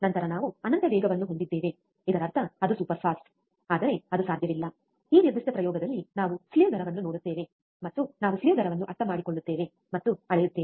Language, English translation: Kannada, then we have infinitely fast; that means, that it is superfast, but it is not possible, we will see slew rate in this particular experiment, and we will understand and measure the slew rate